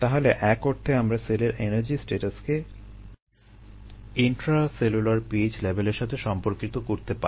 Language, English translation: Bengali, so you, in some sense we can link the energy status of the cell to the intercellular p h level